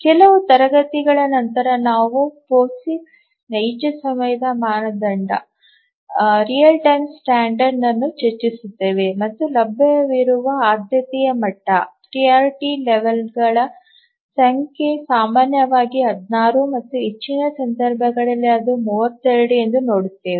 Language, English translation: Kannada, A little later after a few classes we will look at the POSIX real time standard and we'll see that the number of priority levels that are available is typically 16 and in some cases we'll see that it is 32